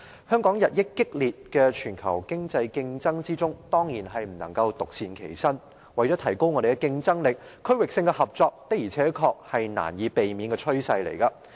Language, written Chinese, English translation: Cantonese, 香港在日益激烈的全球經濟競爭中，當然不能夠獨善其身，為了提高我們的競爭力，區域性合作的而且確是難以避免的趨勢。, At this very time when global economic competition becomes increasingly intense there is no way that Hong Kong can remain unaffected . And in order to enhance our competitiveness regional cooperation is an inevitable trend